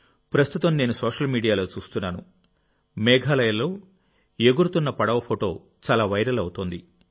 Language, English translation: Telugu, I have been watching on social media the picture of a flying boat in Meghalaya that is becoming viral